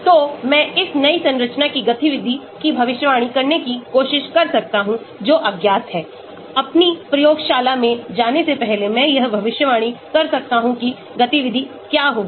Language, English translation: Hindi, so I can try to predict activity of this new structure that is the unknown, before going to my lab I can predict what will be the activity